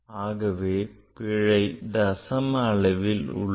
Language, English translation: Tamil, So error is in decimal point